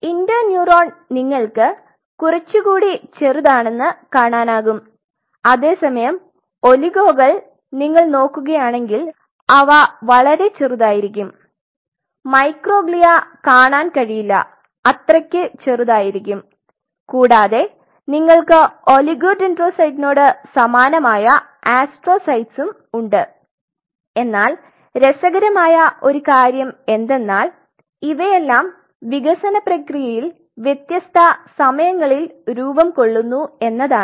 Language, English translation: Malayalam, You see an interneuron contrary you will see slightly smaller whereas, the oligos if you look at them they will be far more smaller microglia will not be able to see it really this will be so small and then you have the astrocytes which are kind of similar to oligodendrocyte and interestingly in the process of development these have formed at different time